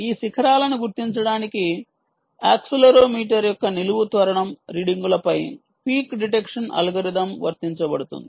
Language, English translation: Telugu, peak detection algorithm is applied on vertical acceleration readings of accelerometer to detect this peaks